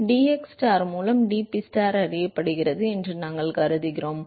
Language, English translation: Tamil, We assume that we know dPstar by dxstar is known